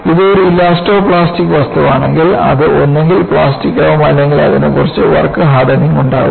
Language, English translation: Malayalam, If it is an elastoplastic material, it will either become plastic or it will have some work hardening